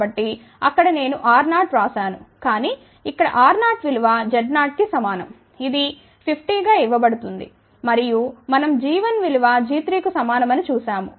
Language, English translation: Telugu, So, there I had written R 0, but here R 0 is equal to Z 0 which is given as 50 and we had seen that g 1 is equal to g 3